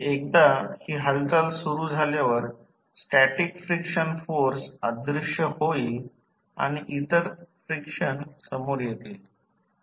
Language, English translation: Marathi, Once this motion begins, the static frictional force vanishes and other frictions will take over